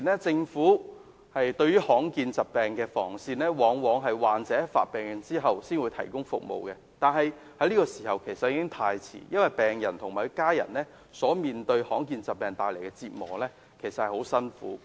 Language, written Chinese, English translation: Cantonese, 政府目前應對於罕見疾病的防線，往往只是患者病發後才提供服務，但那已經太遲，因為病人及其家人所面對罕見疾病帶來的折磨，其實非常痛苦。, At present as far as the front line of defence to combat rare diseases is concerned the Government will mostly provide the service after the patients have shown the symptom of rare diseases but that is really too late . It is because the suffering and torment of the rare diseases will inflict great pains on the patients and their family members